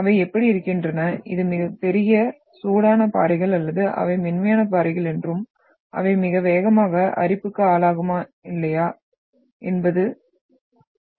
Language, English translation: Tamil, How they are we can say that this is the massive, hot rocks or they are soft rocks and whether they will be subjected to the very fast erosion or not